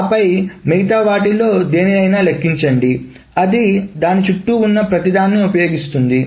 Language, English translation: Telugu, And then to compute any one of them, it uses everything else around it